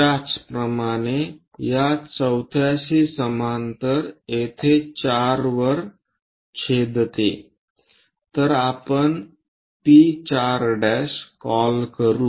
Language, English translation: Marathi, Similarly, pass parallel to this fourth one it intersects on 4 here so let us call P4 prime